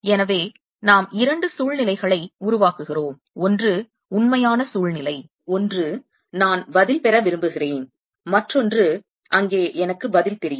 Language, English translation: Tamil, so we create two situations: one which is the real situation, the, the answer, one which for which i want to get the answer, and the other where i know the answer